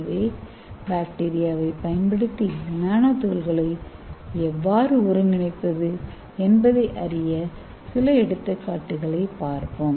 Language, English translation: Tamil, So let us see some example using bacteria how we can synthesize these nanoparticles